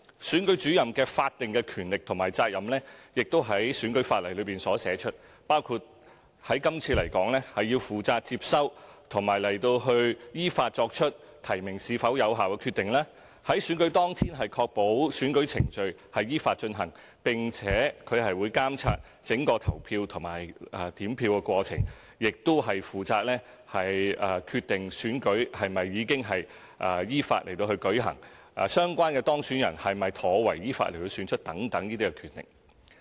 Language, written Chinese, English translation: Cantonese, 選舉主任的法定權力和責任亦已在選舉法例中列出，包括：在今次選舉來說，負責接收和依法作出提名是否有效的決定、在選舉當日確保選舉程序依法進行，並且監察整個投票和點票過程，亦負責決定選舉是否已經依法舉行、相關的當選人是否妥為依法選出等。, The statutory power and duty of RO are already provided in the electoral laws which include in the case of the Chief Executive Election to receive nominations and decide if the nominations are valid in accordance with law; on the election day to ensure the election is carried out in accordance with law to oversee the entire polling and counting process and also to determine whether the election has been conducted in accordance with law and the relevant person elected has been properly elected in accordance with law